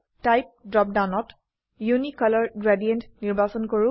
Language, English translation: Assamese, In the Type drop down, select Unicolor gradient